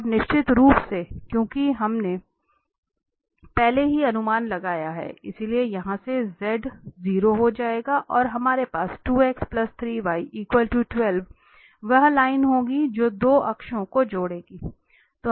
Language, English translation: Hindi, And of course, from here because we have projected already, so z will become 0 there and we have 2x plus 3y equal to 12 that will be the line here connecting the 2 axis